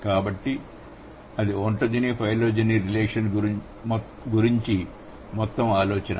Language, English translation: Telugu, So, that's the whole idea about ontogeny phylogeny relation